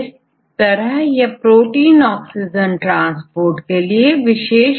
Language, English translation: Hindi, So, which what is the protein involved in this transport oxygen transport